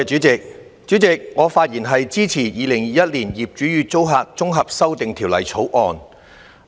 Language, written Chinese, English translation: Cantonese, 主席，我發言支持《2021年業主與租客條例草案》。, President I speak to support the Landlord and Tenant Amendment Bill 2021 the Bill